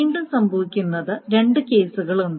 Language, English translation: Malayalam, So, now what may happen is again there are two cases